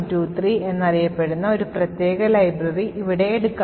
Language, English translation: Malayalam, Let us take for example one particular library over here which is known as the ADVAP123